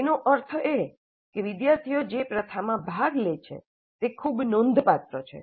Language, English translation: Gujarati, That means the practice in which the students engage is quite substantial